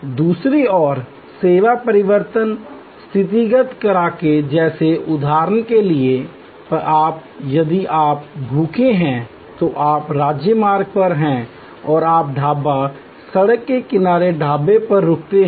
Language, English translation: Hindi, On the other hand, based on service alterations and situational factors like for example, if you are hungry, you are of the highway and you stop at a Dhaba, road side Dhaba